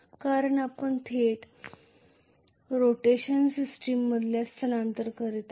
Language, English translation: Marathi, Because we are just migrating to the rotational system directly